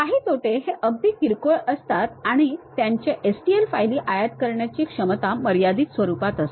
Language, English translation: Marathi, Some of the demerits which are very minor things are a limited ability to import STL files